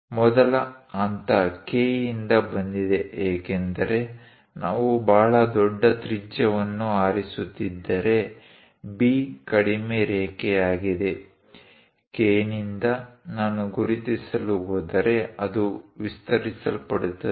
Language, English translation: Kannada, The first step is from K because now B is a shorter line if we are picking very large radius; from K, if I am going to mark, it will be extending